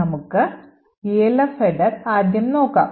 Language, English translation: Malayalam, Let us start with the Elf header